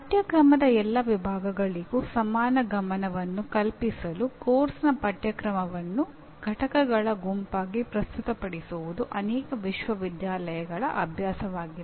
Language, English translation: Kannada, It is the practice of many universities to present the syllabus of a course as a set of units to facilitate equal attention to all sections of the syllabus